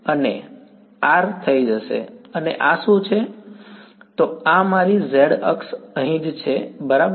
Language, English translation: Gujarati, And the R is going to be ok, and what is this, so this is my z axis over here right